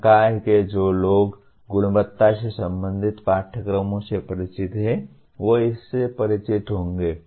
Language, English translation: Hindi, Those of the faculty who are familiar with quality related courses, they will be familiar with that